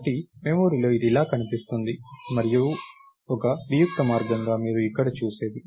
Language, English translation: Telugu, So, in the memory this would look like this, and as an abstract way, it is what you see here